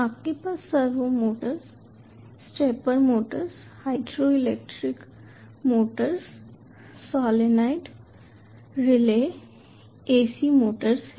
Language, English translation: Hindi, you have servo motors, stepper motors, hydraulic motors, solenoid relays, ac motors, ah